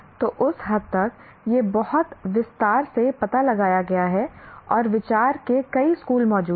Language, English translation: Hindi, So to that extent, it has been explored in great detail and so many schools of thought exist